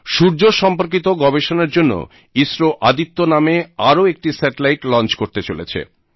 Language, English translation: Bengali, ISRO is planning to launch a satellite called Aditya, to study the sun